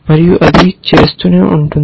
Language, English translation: Telugu, And it will keep doing that